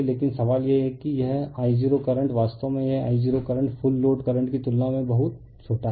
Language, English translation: Hindi, But question is that this I 0 current actually this I 0 current is very small compared to the full load current, right